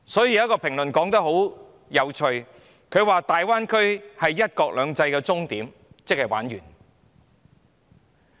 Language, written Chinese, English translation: Cantonese, 因此，曾有評論指大灣區是"一國兩制"的終點，即完結的意思。, Therefore there have been comments that the Greater Bay Area marks the finish point for the one country two systems which means the end